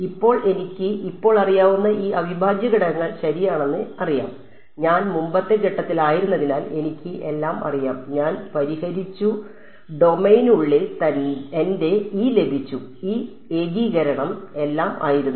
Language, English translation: Malayalam, Now, I know this right these integrals I know now; I know everything because I was in the previous step, I have solved and I have got my E inside the domain right this integration was all V 2